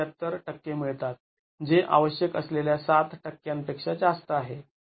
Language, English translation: Marathi, 078 percent which is greater than the 7 percent that is required